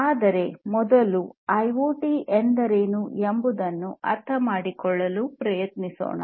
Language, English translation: Kannada, But first let us try to understand what is IoT